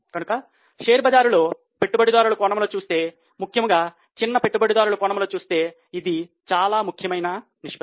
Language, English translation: Telugu, So, this is very important ratio in the stock market from the investors angle, especially from small investors angle